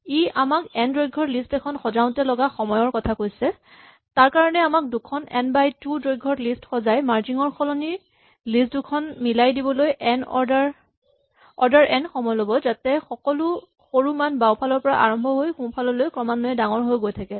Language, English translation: Assamese, It would say that the time required to sort a list of length n requires us to first sort two lists of size n by 2 and we do order n not for merging, but in order to decompose the list so that all the smaller values are in the left and in the right